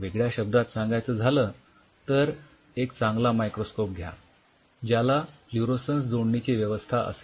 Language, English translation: Marathi, So, in other word then get a really good microscope, where you have an integration of the fluorescence